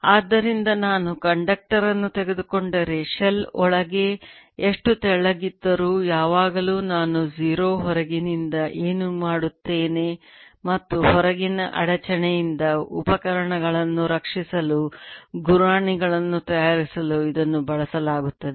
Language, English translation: Kannada, so if i take a conductor, no matter how thin the shell is, field inside will always be zero, whatever i do from outside, and this is used to make sheets to protect instruments from outside disturbance